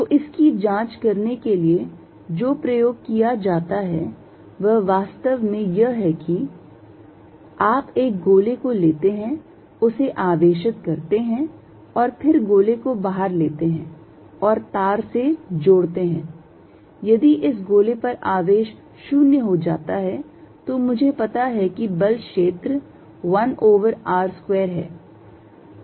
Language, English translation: Hindi, So, the experiment that is done to check this is precisely this you take a sphere charge it and then take a sphere outside and connect by wire, if the charge on this is sphere becomes is 0, I know the force field is 1 over r square